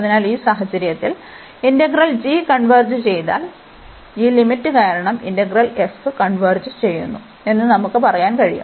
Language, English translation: Malayalam, So, if this integral converges in this case this g integral, then we can tell that this integral f will also converge because of this limit here